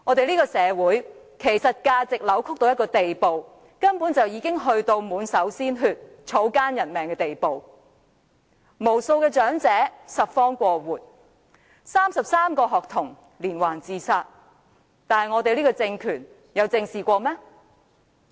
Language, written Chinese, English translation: Cantonese, 這個社會的價值觀，根本扭曲到一個滿手鮮血、草菅人命的地步，無數長者要拾荒過活 ，33 名學童連環自殺，這個政權有正視過嗎？, The values of this society are distorted to such an extent that the hands of the Government are stained with blood and there is no regard for human lives . While many elderly people have to support their living by scavenging and a series of 33 suicide cases of students has occurred has the regime ever addressed these problems squarely?